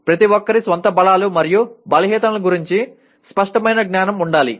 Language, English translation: Telugu, Everyone should have clear knowledge about one’s own strengths and weaknesses